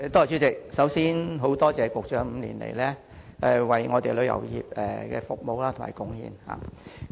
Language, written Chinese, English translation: Cantonese, 主席，首先感謝局長5年來為香港旅遊業作出的服務和貢獻。, President first of all I would like to thank the Secretary for his service and contribution to Hong Kongs tourism industry over the past five years